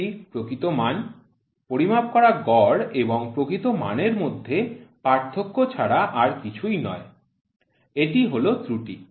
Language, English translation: Bengali, This is the true value, the difference between the measured mean and the true value is nothing, but the error